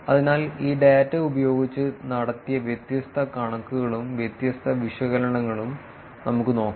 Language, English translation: Malayalam, So, let us look at different figures, different analysis that is been done using this data